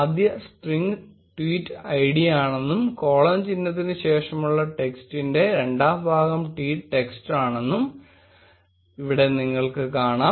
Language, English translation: Malayalam, Here you will notice that first string is the tweet id, and second part of the text after the colon symbol is the tweet text